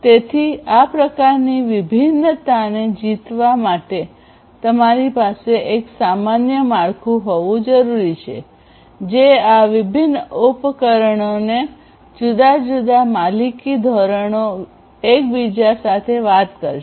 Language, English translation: Gujarati, So, you need to you need to in order to conquer this kind of heterogeneity; you need to have a common framework which will, which will make these disparate devices following different proprietary standards talk to each other